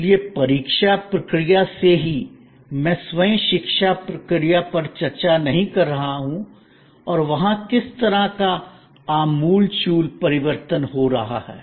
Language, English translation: Hindi, So, right from the examination process, I am even not discussing the education process itself and what kind of radical transformation is taking place there